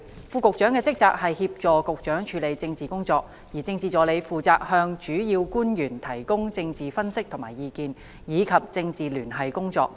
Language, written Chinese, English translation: Cantonese, 副局長的職責是協助局長處理政治工作，而政治助理負責向主要官員提供政治分析和意見，以及政治聯繫工作。, The duty of the Under Secretaries is to assist the Secretaries of Departments in handling political responsibilities and the Political Assistants are responsible for providing political analyses and advice for principal officials as well as conducting political liaison work